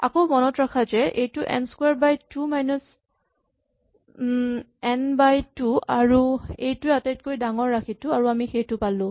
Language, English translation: Assamese, So, again remember that this is n square by 2 minus n by 2 and so this is the biggest term and that is what we get